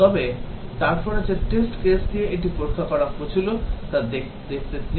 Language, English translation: Bengali, But then let us see the test cases with which it tested